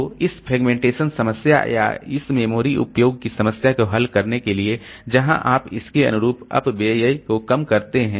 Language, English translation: Hindi, So, to resolve this fragmentation problem, so if I or this memory utilization problem, we reduce the wastage corresponding to that